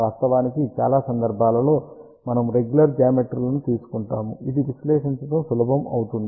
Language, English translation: Telugu, Of course, most of the time, we take regular geometries, which become easier to analyze